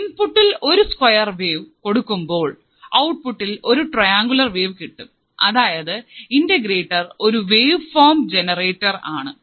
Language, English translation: Malayalam, And you will be able to see that on applying the square wave the output will be triangular wave; that means, this integrator can also be used as a waveform generator